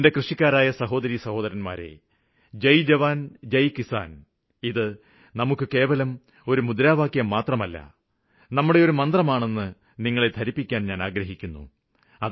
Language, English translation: Malayalam, I want to reassure my farmer brothers and sisters that 'Jai Jawan Jai Kisan' is not merely a slogan, it is our guiding Mantra